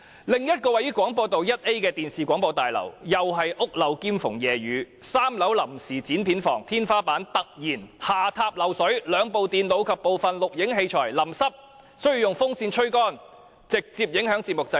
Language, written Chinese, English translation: Cantonese, 另一座位於廣播道 1A 的電視大廈同樣是"屋漏兼逢夜雨 "，3 樓臨時剪片房的天花板突然下塌漏水，兩部電腦及部分錄影器材被淋濕，需要用風扇吹乾，直接影響節目製作。, The other building namely the Television House located at 1A Broadcast Drive has the same problem of water leakage which can be aggravated by rainy weather . The ceiling of the temporary editing room on the third floor had once tumbled down suddenly . Two computers and some recording equipment got wet and had to be blown dry with a fan